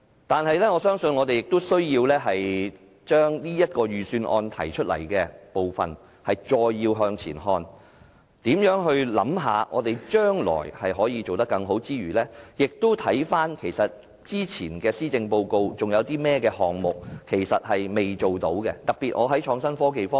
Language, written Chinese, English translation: Cantonese, 不過，我相信我們仍有需要就預算案提出的工作再向前看，在考慮將來如何可以做得更好之餘，也要回看以往的施政報告中尚未做到的項目，特別是創科方面。, Notwithstanding that I believe we still need to look ahead with regard to the proposals contained in the Budget and consider how we can do better in the future on the one hand and on the other hand look back and identify the outstanding proposals in the previous policy addresses especially in respect of IT